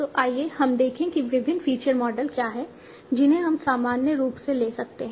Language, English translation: Hindi, So let us look at what are the different feature models we can take in general